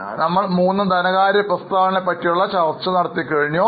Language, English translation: Malayalam, So, we discussed about all the three financial statements